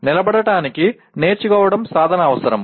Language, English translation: Telugu, Learning to stand requires practice